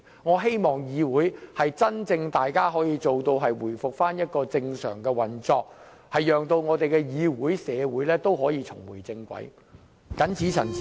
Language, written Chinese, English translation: Cantonese, 我希望大家可以真正做到令議會回復正常的運作，讓議會、社會可以重回正軌，我謹此陳辭。, I hope everyone can really help the Council resume its normal operation and allow it and the society return to the normal track . I so submit